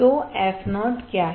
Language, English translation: Hindi, So, what is f o